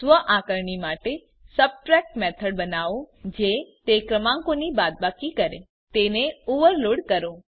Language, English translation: Gujarati, For self assessment, create a method subtract that subtracts number Overload it